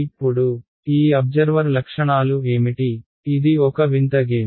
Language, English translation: Telugu, Now, what are the properties of these observers it is a strange game